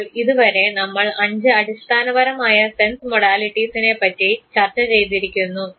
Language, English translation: Malayalam, So, till now we have discussed the five basic sense modalities